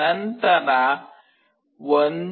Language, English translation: Kannada, Then there is a 1